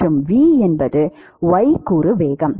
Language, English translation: Tamil, It is the x component velocity and v is the y component velocity